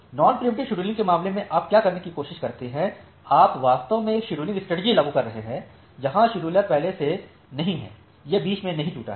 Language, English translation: Hindi, So, in case of non preemptive scheduling what you are trying to do, you are actually applying a scheduling strategy where the scheduler is not preempted or not broken in between